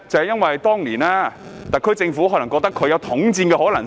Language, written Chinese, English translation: Cantonese, 因為當年特區政府可能認為他們有統戰的可能性。, It is because back then the SAR Government thought they could possibly be united